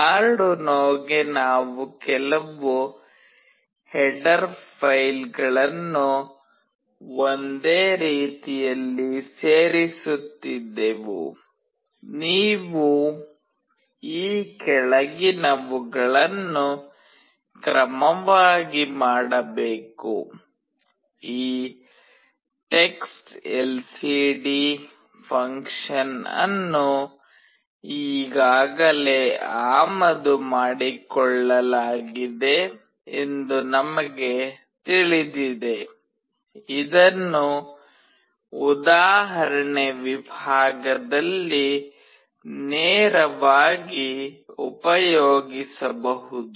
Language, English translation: Kannada, We were including some header files in the same way for Arduino you have to do the following in order, we know this textLCD function is already imported, it can be directly accessed in the example section